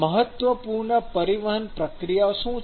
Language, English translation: Gujarati, So, what are the important transport processes